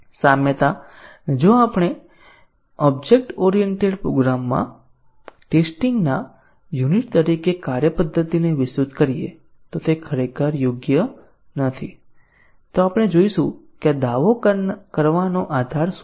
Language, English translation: Gujarati, The analogy, if we extend function to method to be unit of testing in object oriented program is not really correct, we will see what the basis of making this claim